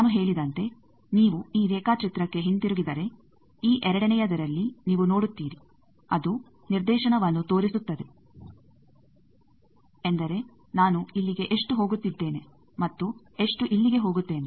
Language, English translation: Kannada, As I said that if you go back to this diagram that you see in this second one, it is showing that directivity means how much I am going here and how much here